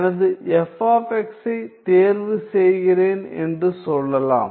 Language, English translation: Tamil, So, let us say I choose my;so I let us say I choose my f of x